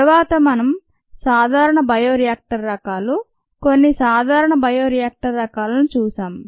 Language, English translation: Telugu, then we looked at common bioreactor types, some common bioreactor types